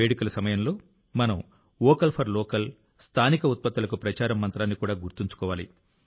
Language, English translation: Telugu, At the time of celebration, we also have to remember the mantra of Vocal for Local